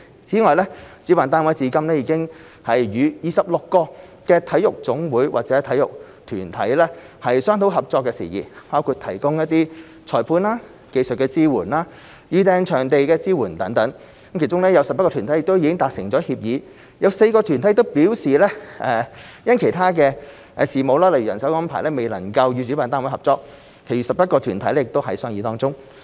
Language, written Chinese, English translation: Cantonese, 此外，主辦單位至今已與26個體育總會或體育團體商討合作事宜，包括提供裁判、技術支援及預訂場地支援等，其中有11個團體已達成協議、有4個團體表示因其他事務未能與主辦單位合作，其餘11個團體仍在商議當中。, Separately the organizer has been discussing with 26 NSAs or sports organizations to explore possible cooperation including the provision of referee services technical support and venue booking support . So far 11 NSAs have reached agreements with the organizer four have declined cooperation due to other issues and the remaining 11 are still in discussion with the organizer